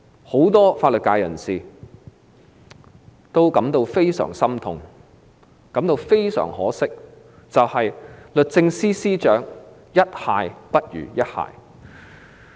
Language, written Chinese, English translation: Cantonese, 很多法律界人士感到非常心痛，非常可惜的是，律政司司長"一蟹不如一蟹"。, Many people in the legal profession are very distressed and in particular they find that the successive Secretaries for Justice have gone from bad to worse